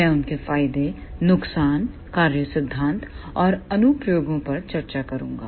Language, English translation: Hindi, I will discuss their advantages, disadvantages, working principle and applications